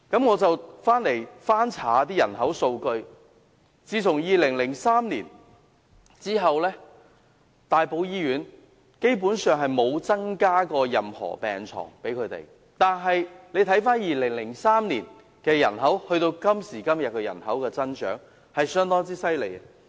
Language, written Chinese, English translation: Cantonese, 我翻查人口數據，發現自2003年起，大埔醫院基本上沒有增加任何病床，但2003年至今天的人口增長卻十分厲害。, I have looked up the population data and found that the Tai Po Hospital has seen no increase at all in the number of beds since 2003 despite the monumental increase in population since then